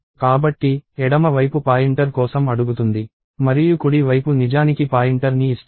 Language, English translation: Telugu, So, the left side is asking for a pointer and the right side actually gives a pointer